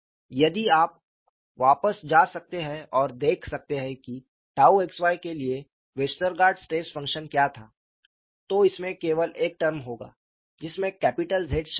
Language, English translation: Hindi, If you can go back and look at what was the Westergaard stress function for tau xy, it will have only one term involving capital Z